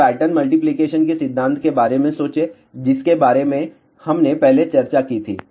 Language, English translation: Hindi, Now, think about the principle of pattern multiplication, which we discussed earlier